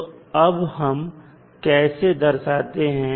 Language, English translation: Hindi, So, how you will represent mathematically